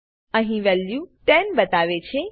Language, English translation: Gujarati, It indicates that its value is 10